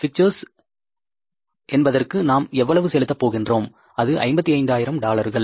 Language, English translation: Tamil, How much we are going to pay for the picture is again dollar 55,000